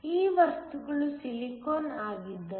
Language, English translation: Kannada, So, if these materials were silicon